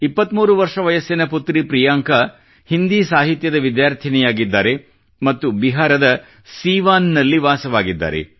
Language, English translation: Kannada, 23 year old Beti Priyanka ji is a student of Hindi literature and resides at Siwan in Bihar